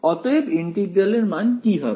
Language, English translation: Bengali, So, what will this integral evaluate to